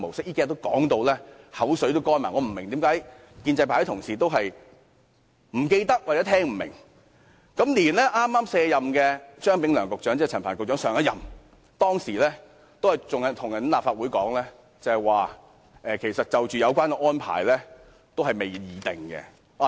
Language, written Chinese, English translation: Cantonese, 這幾天我們已說到口乾，我不明白為何建制派的同事仍是不記得，或聽不明，就連剛卸任的張炳良局長，即陳帆局長之前一任的局長，亦跟立法會說有關安排仍未敲定。, We have repeatedly talked about these facts in the past few days and I do not understand why the pro - establishment colleagues still cannot recollect or do not understand . Even former Secretary Anthony CHEUNG who just departed from office ie . the predecessor of Secretary Frank CHAN also told the Legislative Council that the arrangement was not finalized yet